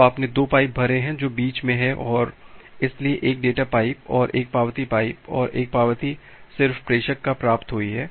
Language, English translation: Hindi, So, you have filled up the 2 pipes which are there in between and so, one data pipe and one acknowledgement pipe and one acknowledgement has just received at the sender